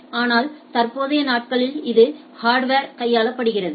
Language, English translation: Tamil, So, these days it is hardware it is handled to the hardware